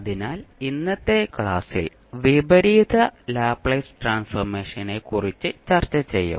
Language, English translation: Malayalam, So, in today's class, we will discuss about the Inverse Laplace Transform